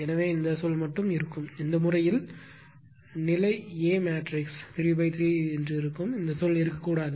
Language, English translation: Tamil, So, only this term will exist in that case it will be your what to call state there A matrix will be 3 into 3 this term should not be there